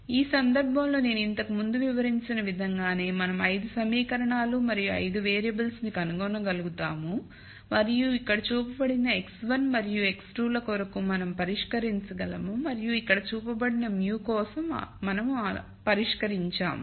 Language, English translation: Telugu, Now much like how I described before in this case also we will be able to find 5 equations and 5 variables and we can solve for x 1 and x 2 which is shown here and we have solved for mu which is shown here